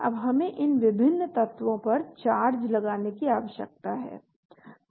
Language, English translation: Hindi, Now we need to add charges to these various elements